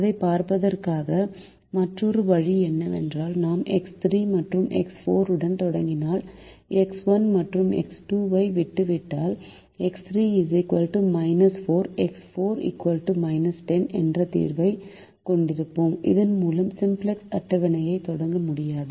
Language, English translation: Tamil, another way of looking at it is if we started with x three and x four and if we left out x one and x two, we would have a solution x three equal to minus four, x four equal to minus ten, with which we cannot start the simplex table